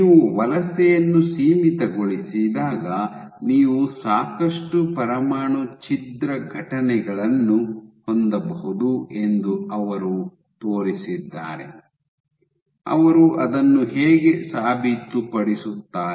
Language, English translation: Kannada, What they showed that when you have confined migration you can have lot of nuclear rupture events, how do they prove it